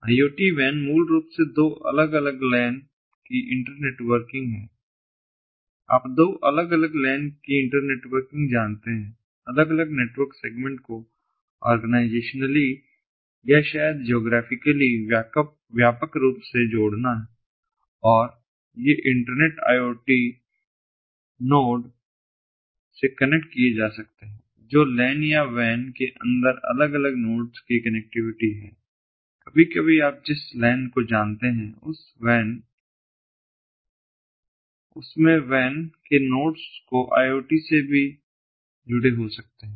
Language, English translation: Hindi, iot wan is basically internetworking of two different lans, you know inter connecting of two different lans, connecting different, various network seg segments, organizationally or maybe geographic, geographically wide, and these can connected to the internet iot node, which is the connectivity of the different nodes inside a lan or maybe a wan, also directly, sometimes the lan, ah, you know, the nodes in the wan can also be connected